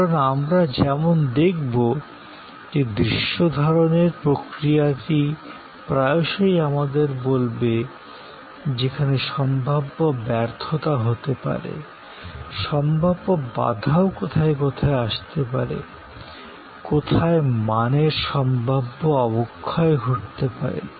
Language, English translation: Bengali, Because, as we will see that process of visualization will often tell us, where the possible failure can be, possible bottlenecks can be, possible degradation of quality can occur